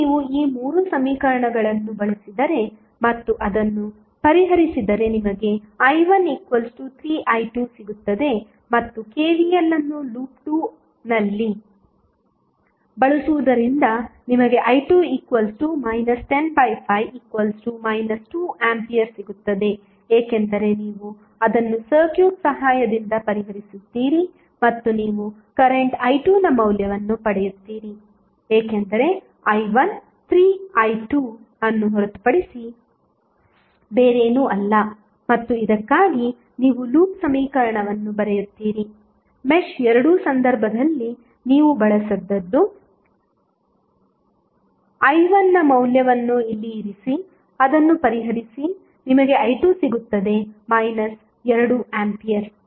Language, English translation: Kannada, Now, if you use these three equations and solve it you will get i 1 is equal to 3i 2 and using KVL in loop 2 you will simply get i 2 is nothing but minus 10 divided by 5 because you solve it with the help of the circuit and you get the value of current i 2 because i 1 is nothing but 3i 2 and you write the loop equation for this, this is what you have used in case of mesh two put the value of i 1 here, solve it you will get i 2 is nothing but minus 2 ampere